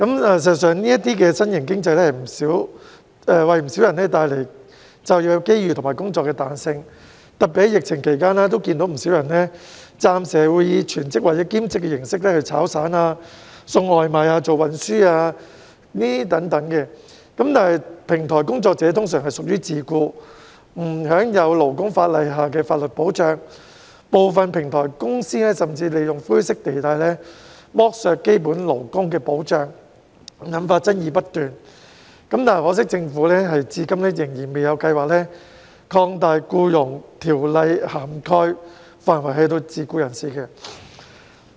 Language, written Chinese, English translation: Cantonese, 事實上，這種新型經濟為不少人帶來就業機遇和工作彈性，特別在疫情期間，我看到有不少人暫時會以全職或兼職形式做"炒散"、送外賣、運輸等工作，但平台工作者通常屬於自僱，不享有勞工法例下的法律保障，部分平台公司甚至會利用灰色地帶，剝削基本勞工保障，引發爭議不斷，可惜政府至今仍然未有計劃擴大《僱傭條例》的涵蓋範圍至自僱人士。, I notice that many people especially during the epidemic have temporarily taken up casual jobs such as takeaway delivery and transport on a full - time or part - time basis . These platform workers however are usually self - employed and do not enjoy any protection under the labour laws . Some platform companies even take advantage of this grey area and deprive these workers of basic labour protection